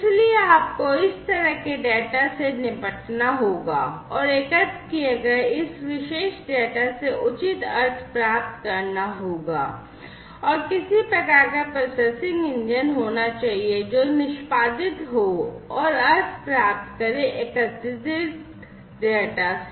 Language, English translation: Hindi, So, you have to deal with this kind of data and in order to get proper meaning out of this particular data that is collected, there has to be some kind of processing engine, that is going to be executed, and that will derive the meaning out of the data, that are collected and received